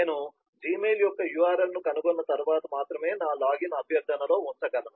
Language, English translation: Telugu, only after i have found the url of the gmail, i can put in my login request